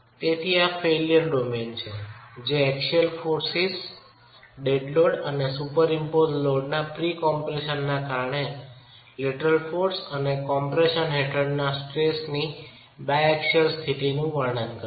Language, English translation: Gujarati, So, this is the failure domain that is representing the biaxial state of stress under lateral force and compression due to axial forces dead weight and pre compression from superimposed loads